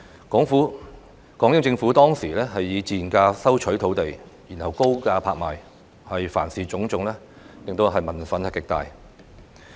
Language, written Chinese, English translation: Cantonese, 港英政府當時以賤價收取土地，然後高價拍賣，凡此種種導致民憤極大。, The then British Hong Kong Government acquired lands at a low price but sold them at high price in auctions which had aroused great public indignation